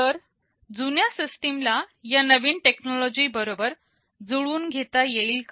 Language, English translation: Marathi, So, is it possible for the older system to adapt to this new technology